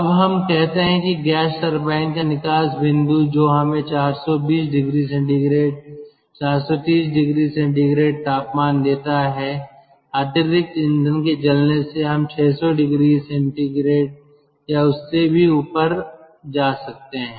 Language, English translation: Hindi, now ah, lets say the ah exhaust exit point of the gas turbine that gives us a temperature of four hundred four hundred twenty four hundred thirty degree celsius by this additional fuel, ah, by this burning of additional fuel, we can go up to six hundred degree or even ah higher than this